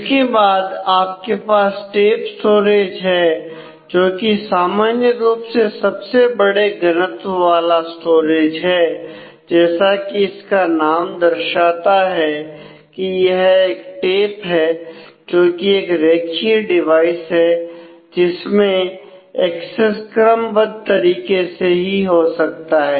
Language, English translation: Hindi, Then you have the tape storage which usually is a largest volume of storage, but it is as a name suggests it is a tape it is a linear device